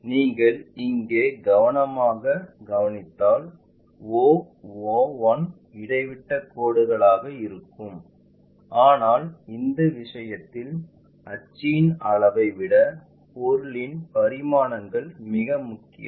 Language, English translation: Tamil, If you note it carefully here the o o 1 supposed to be dashed dot lines, but the object dimensions are more important than that axis in this case